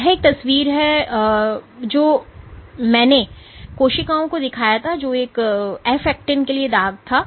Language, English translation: Hindi, So, this is a picture I had earlier shown of cells which stained for a F actin